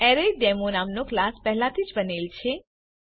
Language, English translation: Gujarati, A class named ArraysDemo has already been created